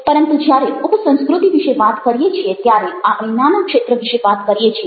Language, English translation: Gujarati, but when we are talking about a sub culture, we are talking about even a smaller area than that